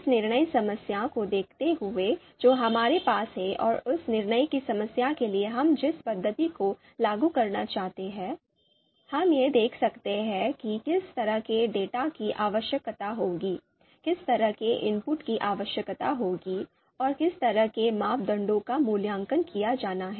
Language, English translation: Hindi, So given the decision problem that we have and given the method that we are looking to you know apply for that decision problem, what kind of data would be required, what kind of input would be required, and what kind of parameters have to be evaluated